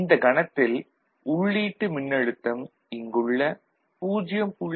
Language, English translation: Tamil, When this voltage is 0